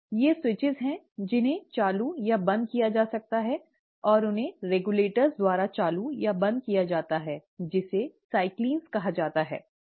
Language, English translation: Hindi, There are these switches, which can be turned on or turned off, and these are turned on or turned off by regulators which are called as ‘cyclins’